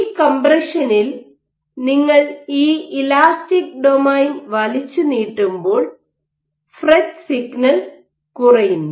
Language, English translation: Malayalam, So, when you have stretching of this elastic domain in this compression you are FRET is going to FRET signal is going to go low